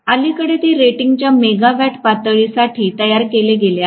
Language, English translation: Marathi, Lately they have been produced for megawatts levels of rating